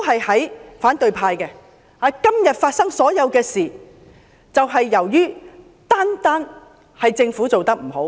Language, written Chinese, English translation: Cantonese, 他們強調今天發生的所有事情，純粹因為政府做得不好。, They emphasized that everything happening today was merely due to the Governments poor performance